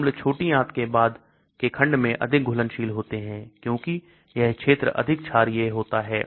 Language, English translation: Hindi, Acids are more soluble in the later section of the small intestine because the region is more basic